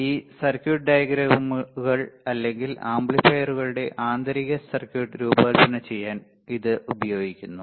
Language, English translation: Malayalam, It is used to design this circuit diagrams or the internal circuit of the amplifiers and lot more